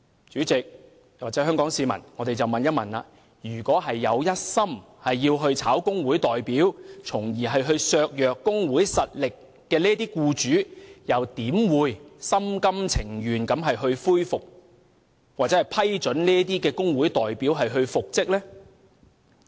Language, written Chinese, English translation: Cantonese, 主席，各位香港市民，試問一心想解僱工會代表從而削弱工會實力的僱主，又怎會心甘情願地批准工會代表復職呢？, President and fellow Hong Kong citizens as the employer is bent on dismissing the trade union representative in order to weaken the strength of the trade union how would it be possible for the employer to willingly approve the reinstatement of the trade union representative?